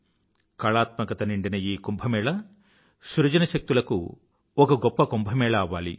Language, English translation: Telugu, May this Kumbh of aesthetics also become the Mahakumbh of creativity